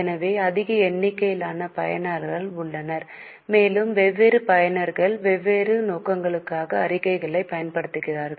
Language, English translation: Tamil, So, there are large number of users and different users use the statements for different purposes